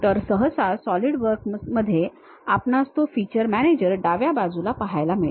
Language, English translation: Marathi, So, usually for Solidworks we see it on the left hand side, somewhere here we have that feature manager